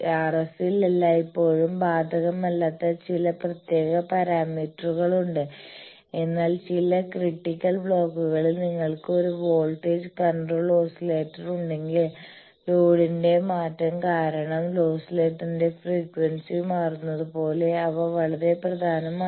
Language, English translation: Malayalam, Then there are some special parameters which are not always applicable in RF, but in some critical blocks they are very important like if you have a voltage control oscillator there due to the change of load the frequency of the oscillator changes